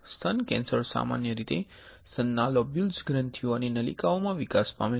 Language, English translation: Gujarati, Breast cancer most commonly develops in the lobules, glands and ducts of the breast